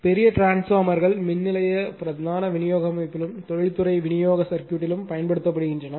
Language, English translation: Tamil, And large power transformers are used in the power station main distribution system and in industrial supply circuit, right